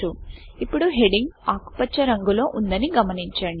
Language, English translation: Telugu, So you see that the heading is now green in color